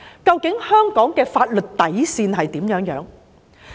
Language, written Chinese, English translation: Cantonese, 究竟香港的法律底線為何？, What is the bottom line of the laws of Hong Kong?